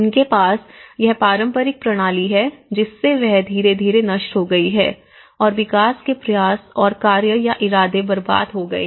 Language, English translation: Hindi, They have this traditional system, so that has gradually destroyed and the efforts and actions or intentions of the development have been wasted